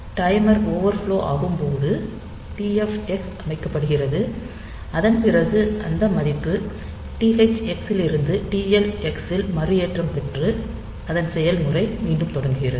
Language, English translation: Tamil, So, when the timer overflows the TFx is set, and after that the value is reloaded from THX into TLX and the process restarts